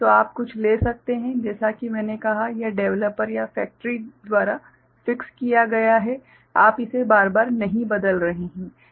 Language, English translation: Hindi, So, you can take something which as I said this is fixed by the developer or the factory, you are not changing it again and again